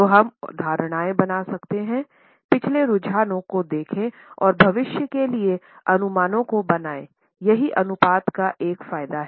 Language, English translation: Hindi, So, we can make certain assumptions, look for the past trends and make the projections for the future, that's an advantage of the ratios